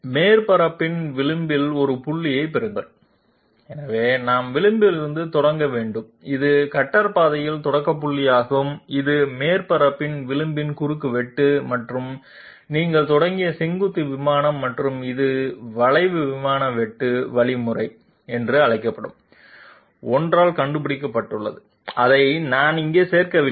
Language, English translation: Tamil, Get a point on the edge of the surface so we have to start from the edge, this is the start point of the cutter path and this is the intersection of the edge of the surface and the vertical plane that you have started with and this is found out by something called curve plane intersection algorithm, which I had not included here